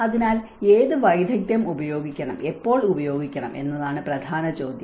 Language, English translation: Malayalam, So, the main question is what expertise to use and when